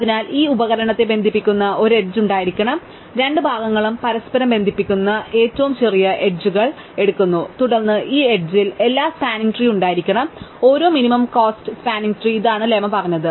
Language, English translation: Malayalam, So, there must be an edge connecting these tool, we take the smallest edges which connects the two parts together, then this edge must be there at every spanning tree, every minimum cost spanning tree, this is what the lemma said